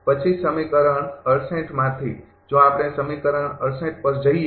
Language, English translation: Gujarati, Then from equation 68 if we go to equation 68